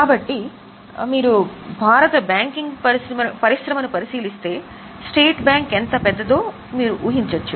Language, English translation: Telugu, So, you can imagine how big the state bank is in if you look at the Indian banking industry